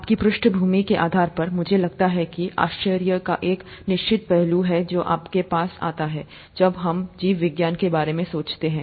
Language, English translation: Hindi, Depending on your background, I think there is a certain aspect of wonder that comes to your mind when you think of biology